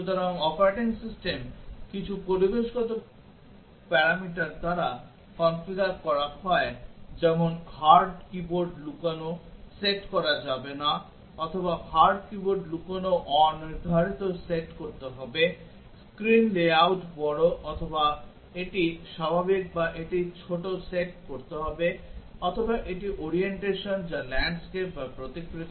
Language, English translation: Bengali, So, the operating system is configured by some environmental parameters like hard keyboard hidden, no to be set or hard keyboard hidden undefined to be set, screen layout is large or it is normal or it is small have to be set, or it is the orientation which is landscape or portrait